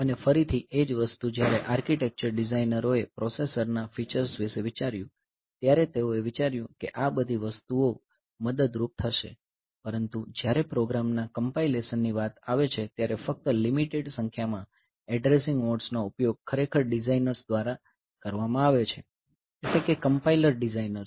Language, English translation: Gujarati, And again the same thing the when the architecture designers they thought about the features of the processor they thought that all this things will be helpful, but when it comes to the compilation of programs only a limited number of addressing modes are actually used by the designers by the by the compiler designers